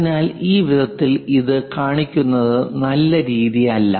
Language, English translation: Malayalam, So, it is not a good idea to show it in this way, this is wrong